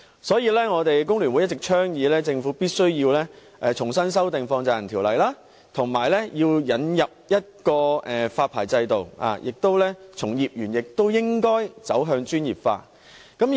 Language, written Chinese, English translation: Cantonese, 所以，香港工會聯合會一直倡議政府必須重新修訂《條例》，並引入發牌制度，而從業員亦應該專業化。, This explains why the Hong Kong Federation of Trade Unions has been advocating that the Government must amend afresh the Ordinance and introduce a licensing regime . Moreover its practitioners should be made professionals